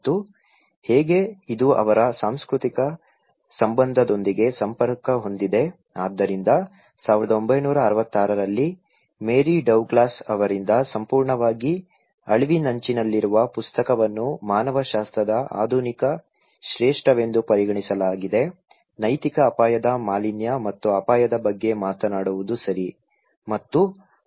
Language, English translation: Kannada, And how, this is connected with their cultural affiliation okay, so that was the book purely endangered by Mary Douglas in 1966 considered to be a modern classic of anthropology, talking about the moral risk pollution and danger okay